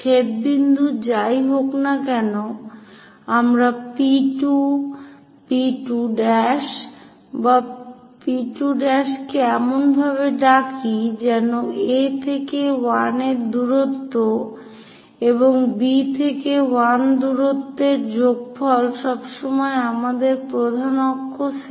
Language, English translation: Bengali, Whatever the intersection point let us call P 2, P 2 dash or P 2 prime in such a way that A to 1 distance plus B to 1 distance always gives us major axis 70 mm